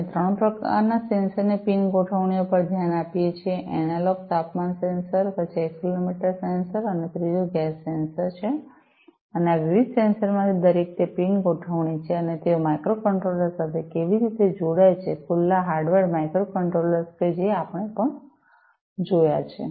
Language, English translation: Gujarati, We have looked at the pin configurations of 3 types of sensors analog temperature sensor, then accelerometer sensor, and third is the gas sensor, and each of these different sensors, they are pin configuration and how they connect to the microcontrollers, open hardware microcontrollers that also we have seen